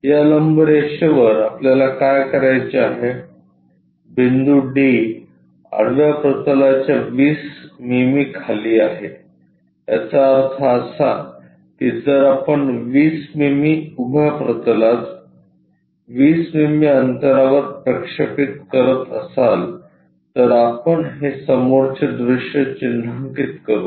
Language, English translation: Marathi, On this perpendicular line what we have to do point d is 20 mm below horizontal plane; that means, if we are projecting that 20 mm onto vertical plane at a 20 mm distance we will mark this front view